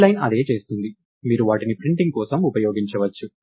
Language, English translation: Telugu, So, thats what this line does, its not just you can use them for printing